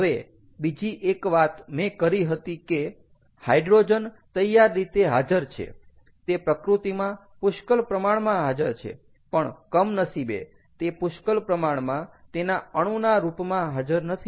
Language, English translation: Gujarati, now next thing: i said that hydrogen is readily available, is is abundantly available in nature, but unfortunately it is not abundantly available in its atomic form